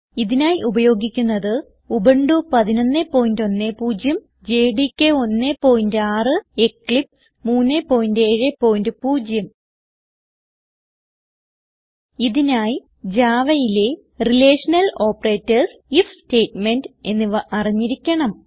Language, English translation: Malayalam, For this tutorial we are using Ubuntu 11.10, JDK 1.6 and Eclipse 3.7.0 For this tutorial, you should have knowledge on relational operators and if statement in Java